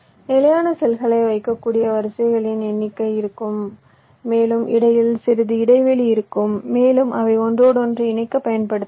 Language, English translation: Tamil, ok, there will be number of rows in which the standard cells can be placed and there will be some space in between which can be used further interconnections